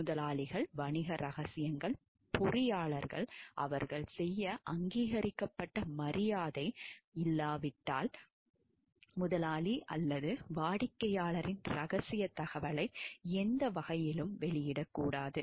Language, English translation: Tamil, Employers business secrets, engineers shall not disclosed by any means confidential information of the employer or client unless otherwise honor they are authorized to do it